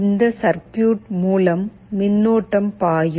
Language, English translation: Tamil, This is the circuit through which the current will be flowing